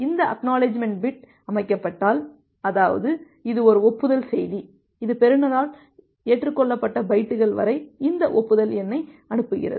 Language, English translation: Tamil, If this ACK bit is set; that means, it is an acknowledgement message which is sending this acknowledgement number about the up to which bytes have been acknowledged by the receiver